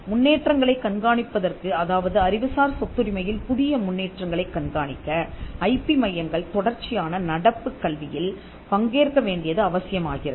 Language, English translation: Tamil, Keeping track of developments new developments in intellectual property right requires IP centres to also participate in ongoing education